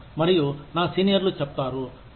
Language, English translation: Telugu, And, my seniors say, oh